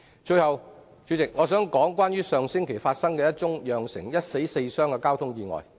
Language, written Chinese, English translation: Cantonese, 最後，我想說說上星期一宗釀成一死四傷的交通意外。, Lastly I would like to talk about a traffic accident which had resulted in one death and four injuries last week